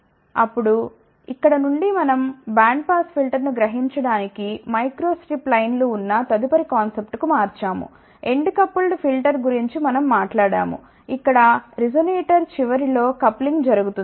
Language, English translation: Telugu, Where we had the microstrip lines to realize band pass filter we talked about end coupled filter, where coupling is done at the end of the resonator